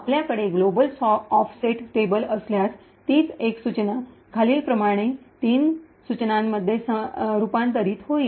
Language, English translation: Marathi, If you have a global offset table however, the same single instruction gets converted into three instructions as follows